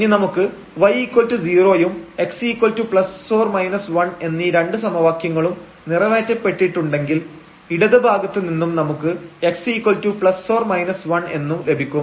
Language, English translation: Malayalam, So, if we have y is equal to 0 and x is equal to plus minus 1 these two equations are satisfied, now from the left one having this x is equal to plus minus 1